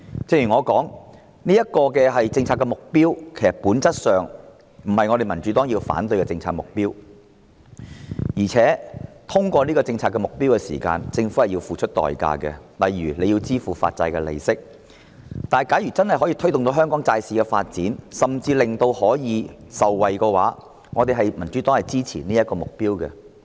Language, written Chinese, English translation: Cantonese, 正如我所說，這是政策上的目標，其實在本質上，這並不是民主黨反對的政策目標，而在達致這項政策目標的過程中，政府也須付出代價，例如支付發債利息，但如果真的可以推動香港債市發展，甚至令市民受惠，民主黨是支持這個目標的。, As I have said the Democratic Party holds no objection to this policy objective essentially . The Government must pay a price in the process of achieving this policy objective such as the bond interest . However if it can really promote the development of the bond market in Hong Kong and benefit the public the Democratic Party will support this objective